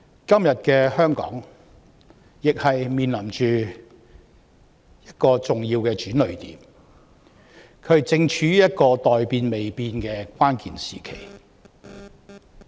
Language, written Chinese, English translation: Cantonese, 今天的香港亦面臨重要的轉捩點，正處於一個待變未變的關鍵時期。, Today Hong Kong also faces an important turning point a critical period of imminent changes